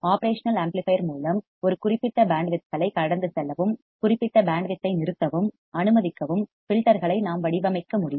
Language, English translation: Tamil, With the operational amplifier we can design filters that can allow a certain band of frequencies to pass and certain band of frequency to stop